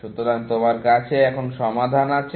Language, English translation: Bengali, So, you have the solution now